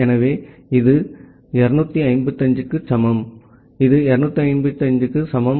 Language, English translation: Tamil, So, this is equal to 255, this is equal to 255